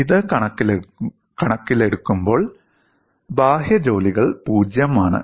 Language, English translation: Malayalam, In view of this, external work done is 0